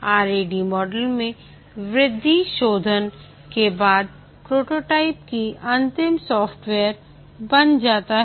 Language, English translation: Hindi, In the RAD model the prototype itself is refined to be the actual software